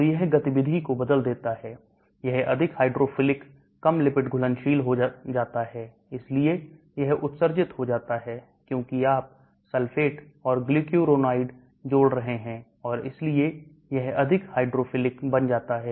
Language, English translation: Hindi, So it alters activity, it becomes more hydrophilic less lipid soluble, so it gets excreted, because you are adding sulfate and glucuronide and so it becomes more hydrophilic